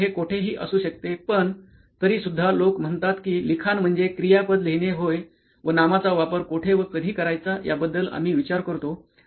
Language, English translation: Marathi, So it could be anyway but still what people say to write is a verb and where what else nouns can be used around it is what we are concerned